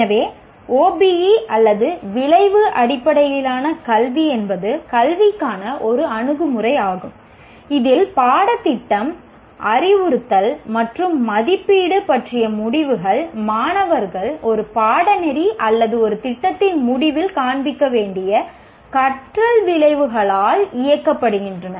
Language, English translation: Tamil, So, OBE or outcome based education is an approach to education in which decisions about the curriculum, instruction and assessment are driven by the exit learning outcomes that students should display at the end of a course or a program